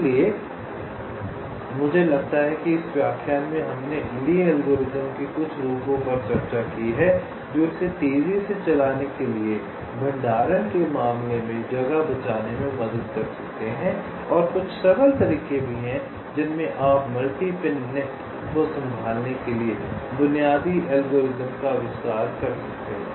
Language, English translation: Hindi, so i think, ah, in this lecture we have discussed ah, some of the variations of lees algorithm which can help it to save space in terms of storage, to run faster, and also some simple way in which you can extend the basic algorithm to handle multi pin nets